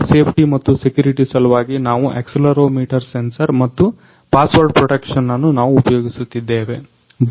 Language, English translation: Kannada, Now for bike safety purpose and bike safety, and security purpose we using accelerometer sensor and a password protection